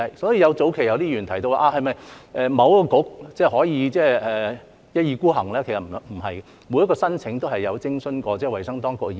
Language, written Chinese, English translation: Cantonese, 所以，早期有些議員提到是否某一個政策局可以一意孤行，其實不然，就每一宗申請都是有徵詢過衞生當局意見的。, Therefore to some Members early question of whether it would be possible for a certain Policy Bureau to go its own way the answer is actually no because we will have consulted the health authorities on each and every application